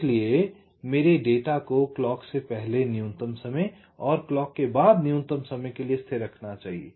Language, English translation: Hindi, so my data must be kept stable a minimum time before the clock and also minimum time after the clock